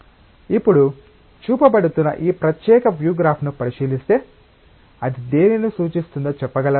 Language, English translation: Telugu, Now, looking into this particular view graph that is being shown, can you tell what does it represent